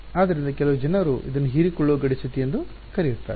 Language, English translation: Kannada, So, that is why some people called it absorbing boundary condition